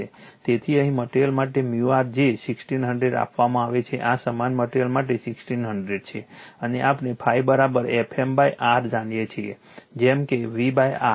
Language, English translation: Gujarati, So, ever mu r is given 1600 for this for this materials same materials this 1600 right and we know phi is equal to F m by R like your V by R